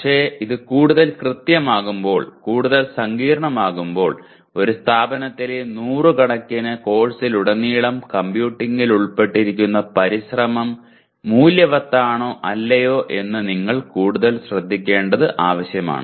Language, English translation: Malayalam, But the only thing is when you make it more precise, more complicated you should see whether the, it is the effort involved in computing across few hundred courses in an institution is it worth it or not